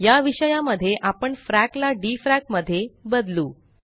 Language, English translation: Marathi, In view of this, let us change frac to dfrac